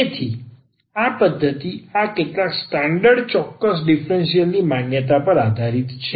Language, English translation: Gujarati, So, this method is based on the recognition of this some standard exact differential